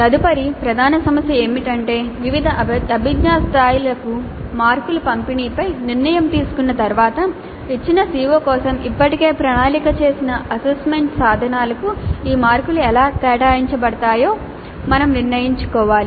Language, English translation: Telugu, Then we need to decide the next major issue is that having decided on the distribution of marks to different cognitive levels we need to decide how these marks are allocated to the assessment instruments already planned for a given CIO